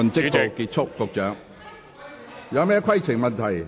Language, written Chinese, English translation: Cantonese, 各位議員有甚麼規程問題？, Members what are your points of order?